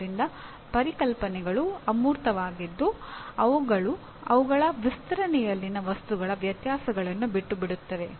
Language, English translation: Kannada, So the concepts are abstracts in that they omit the differences of things in their extension